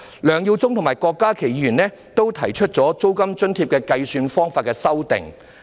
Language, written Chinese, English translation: Cantonese, 梁耀忠議員及郭家麒議員均就租金津貼的計算方法提出修正案。, Mr LEUNG Yiu - chung and Dr KWOK Ka - ki have both proposed amendments with respect to the calculation method of rent allowance